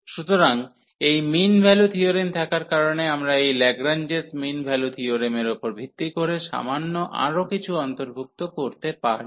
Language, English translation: Bengali, So, having this mean value theorem, we can also include little more based on this Lagrange mean value theorem